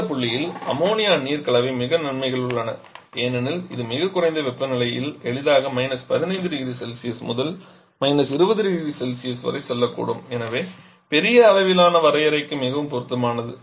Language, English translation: Tamil, And that point Ammonia water mixture is very much advantages because it can I see very low temperatures can easily go to 15 20 degree Celsius very suitable for large scale definition